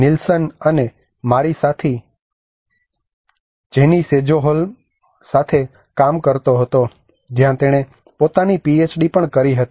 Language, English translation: Gujarati, Nilsson and my colleague Jennie Sjoholm from Lulea Technological University where she did her own PhD as well